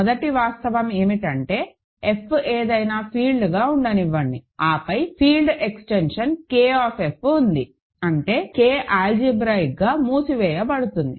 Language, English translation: Telugu, First fact is that, let F be any field, then there exists a field extension K of F such that, K is algebraically closed